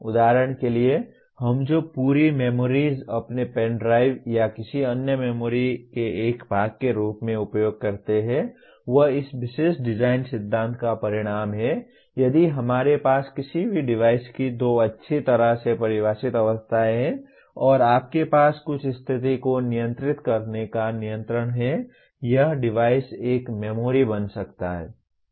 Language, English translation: Hindi, For example, the entire memories that we use as a part of our pen drives or any other memory is the result of this particular design principle if we have two well defined states of any device and you have some control of keep switching the state of the device it can become a memory